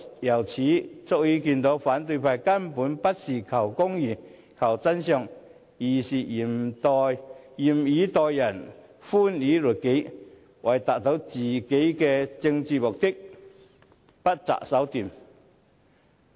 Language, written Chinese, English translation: Cantonese, 由此可見，反對派根本不是求公義、求真相，而是嚴以待人、寬以律己，為了達到自己的政治目的，不擇手段。, We can thus see that opposition Members basically seek no justice or truth . They are strict with others while lenient towards oneself resorting to every possible means to achieve their own political ends